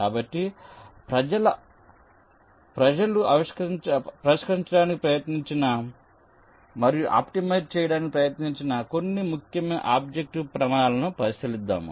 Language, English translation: Telugu, so let us look at some of the more important objective criteria which people have tried to address and tried to optimize